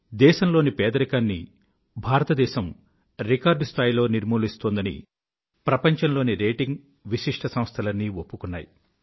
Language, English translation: Telugu, Noted world institutions have accepted that the country has taken strides in the area of poverty alleviation at a record pace